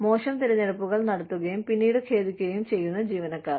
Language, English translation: Malayalam, Employees, who make poor choices, and later regret